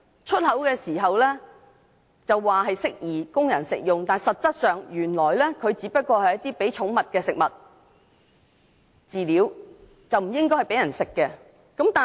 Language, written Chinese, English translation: Cantonese, 出口時說適宜供人食用，但實際上只是供寵物食用的飼料，並不宜供人食用。, They claimed to be suitable for human consumption at export but in fact they were only to be consumed as pet feed not for human consumption